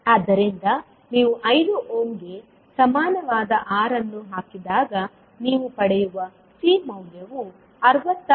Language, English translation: Kannada, So when you put R equal to 5ohm, the value of C you will get is 66